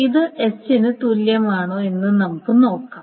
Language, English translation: Malayalam, So now let us see whether this is equivalent to S